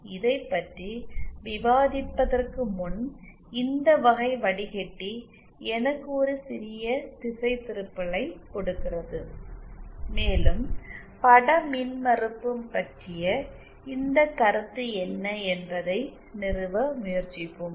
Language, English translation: Tamil, Before discussing this, this type of filter let me a slight diversion and let us just try to establish what is this concept of image impedance